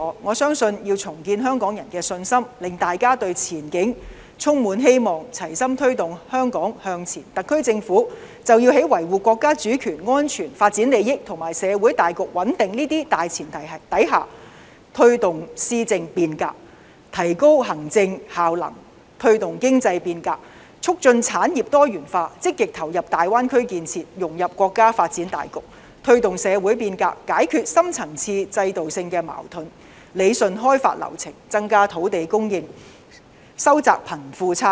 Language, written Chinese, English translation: Cantonese, 我相信要重建香港人的信心，令大家對前景充滿希望，齊心推動香港向前，特區政府便要在維護國家主權安全發展利益和社會大局穩定這些大前提下，推動施政變革，提高行政效能；推動經濟變革，促進產業多元化；積極投入大灣區建設，融入國家發展大局；推動社會變革，解決深層次制度性的矛盾；理順開發流程，增加土地供應及收窄貧富差距。, I believe that if the Government is going to rebuild confidence among Hong Kong people so that they can have hopes for the future and to work as one to push Hong Kong forward on the premise of safeguarding our national sovereignty and its development interests as well as social stability the SAR Government should promote administrative reform and enhance governance efficiency to promote economic reform promote the diversity of industries actively participate in the Greater Bay Area construction integrate into the countrys general development plan promote social reform resolve deep - seated and institutional conflicts to streamline the development flow to increase land supply and to narrow the wealth gap